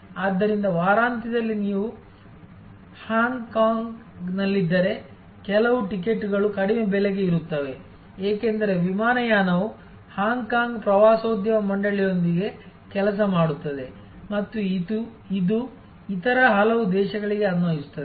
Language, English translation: Kannada, So, the weekend if you stay in Hong Kong then some of the ticket will be at a price which is lower, because the airline works in conjunction with Hong Kong tourism board and so on and this is applicable to many other countries